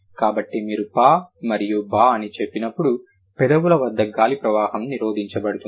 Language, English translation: Telugu, So, when you say p and b, the airflow is blocked right at the lips, right